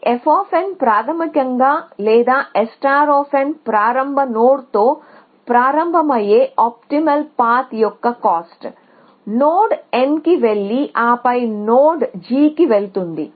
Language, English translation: Telugu, So, this f of n is basically or S star of n is the optimal the cost of optimal path that starts with the start node goes to node n and then goes to the node g